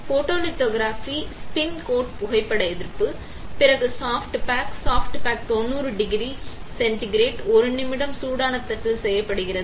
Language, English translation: Tamil, Photolithography spin coat photo resist; then soft bake, soft bake is done as 90 degree Centigrade for 1 minute on hot plate